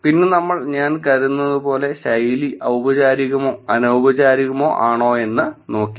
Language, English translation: Malayalam, And then we looked at for the style of I think which is formal or informal